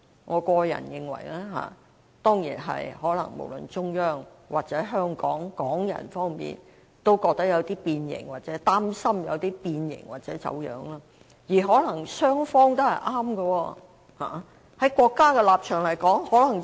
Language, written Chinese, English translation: Cantonese, 我個人認為，這當然可能是因為中央和香港人都覺得或擔心"一國兩制"的實踐有些變形和走樣，而可能雙方都是對的。, In my opinion this may well be because both the Central Authorities and Hong Kong people think or are concerned that the implementation of one country two systems has been somewhat deformed and distorted . And perhaps both sides are correct